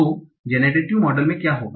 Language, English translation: Hindi, So this is a generative model